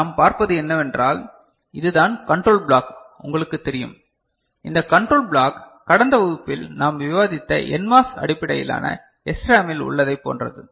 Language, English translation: Tamil, So, what we see, this is the you know the control block; this control block is similar to what is there in the NMOS based SRAM that we discussed in the last class